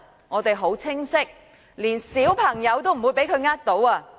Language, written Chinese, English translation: Cantonese, 我們很清楚，連小朋友也不會被他騙倒。, We are absolutely clear that even children will not be cheated by him